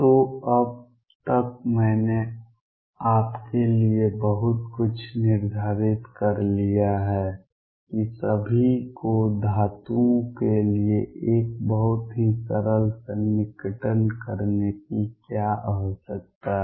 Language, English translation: Hindi, So, by now I have set up pretty much for you what all be require to do a very simple approximation for metals